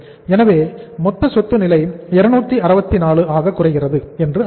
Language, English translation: Tamil, So it means total assets level is coming down to 264